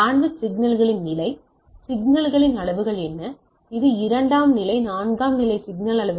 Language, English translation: Tamil, Level of signals, what are the levels of signals it is a 2 level, 4 level what are the levels of signals